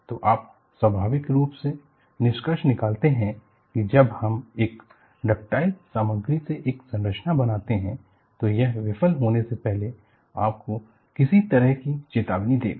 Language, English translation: Hindi, So, you naturally conclude, when we make a structure out of a ductile material, it would give you some kind of a warning before it fails